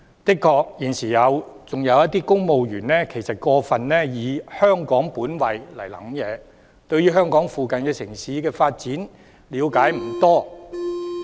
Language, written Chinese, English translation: Cantonese, 的確，現時仍有一些公務員過分以"香港本位"來思考，對香港附近城市的發展了解不多。, It is true that at present some civil servants still adopt a Hong Kong - based approach in their thinking . They have little understanding of the developments in the nearby cities of Hong Kong